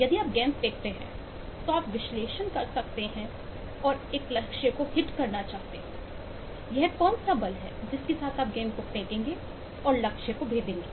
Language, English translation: Hindi, you can just eh want to analyze, as you throw a ball and want to hit a target, what is the force with which you will throw the ball and hit the target